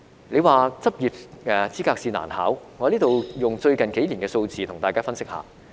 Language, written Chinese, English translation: Cantonese, 你說執業資格試難考，我在此以最近幾年的數字跟大家分析一下。, If it is said that the Licensing Examination is difficult I would like to have an analysis here based on the figures in the last few years